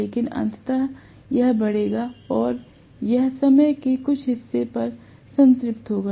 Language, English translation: Hindi, But eventually it will increase and it will saturate at some portion of time